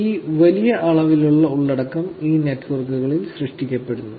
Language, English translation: Malayalam, So, this large amount of content is getting generated on these networks